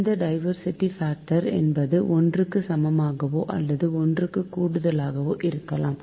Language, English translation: Tamil, so next is the diversity factor can be equal or greater than unity, right